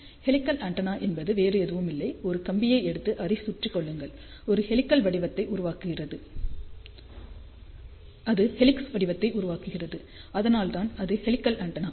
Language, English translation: Tamil, So, helical antenna is nothing but you take a wire and the wrap it around ok and that makes that forms the shape of helix, so that is that is what is a helical antenna